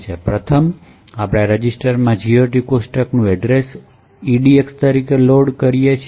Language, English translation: Gujarati, First, we load the address of the GOT table into this register called EDX